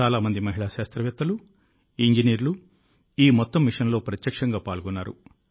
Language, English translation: Telugu, Many women scientists and engineers have been directly involved in this entire mission